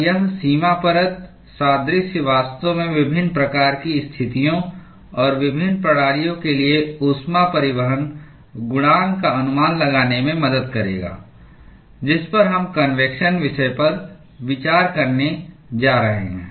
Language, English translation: Hindi, And this boundary layer analogy will actually help in estimating the heat transport coefficient for various kinds of situations and various systems that we are going to consider in the convection topic